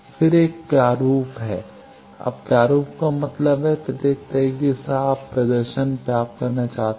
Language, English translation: Hindi, Then there is a format now format means in each way you want to get the display